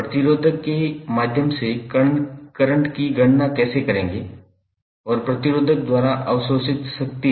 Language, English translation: Hindi, How you will calculate the current through resistor and power absorb by the resistor